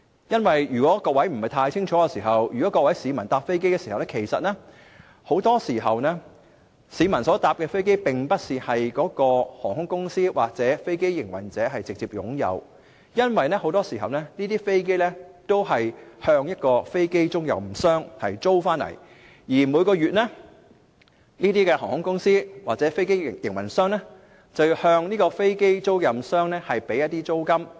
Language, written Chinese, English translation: Cantonese, 如果各位不是太清楚，即是說市民乘搭飛機時，他們乘搭的飛機大多數不是該航空公司或飛機營運者直接擁有，因為這些飛機都是向一間飛機出租商租借，而每個月這些航空公司或飛機營運者會向飛機出租商繳付租金。, If Members are not very familiar with this subject it means that most of the aircraft that people travel in are not directly owned by an airline or aircraft operator but are leased from an aircraft lessor and the airline or aircraft operator pays a monthly rent to the aircraft lessor